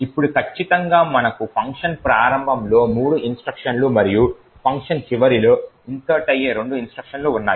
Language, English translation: Telugu, Now precisely we have three instructions at the start of the function and two instructions that gets inserted at the end of the function